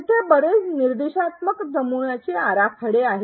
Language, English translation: Marathi, There are many instructional design models